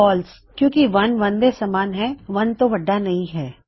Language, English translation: Punjabi, False, because 1 is equal to 1 and not greater than 1